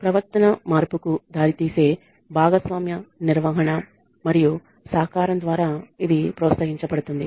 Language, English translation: Telugu, It is encouraged through participative management and cooperation to result in behavior modification